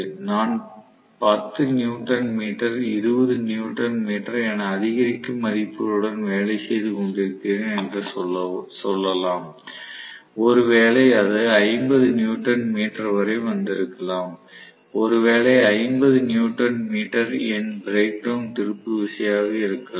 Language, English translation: Tamil, So, let us say I was working with may be 10 newton meter, 20 newton meter I kept on increasing may be it came up to 50 newton meter, may be 50 newton meter happens to be my brake down torque